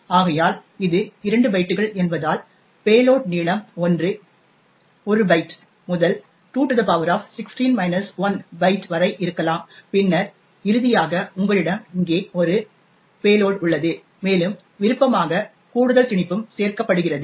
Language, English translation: Tamil, So, therefore since its 2 bytes so the payload be anything from 1 byte ranging to 2 power 16 minus 1 byte and then, finally you have a payload over here and optionally there is extra padding that is also added